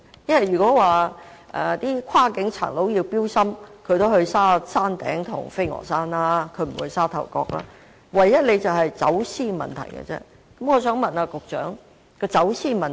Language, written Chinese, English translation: Cantonese, 如果說跨境匪徒會進行綁架，他們也會到山頂或飛鵝山，不會在沙頭角犯案，唯一的問題只是走私的問題。, If there are concerns about criminals crossing the border to commit kidnapping they will go to the Peak or Kowloon Peak rather than committing the offence in Sha Tau Kok . The only problem is just smuggling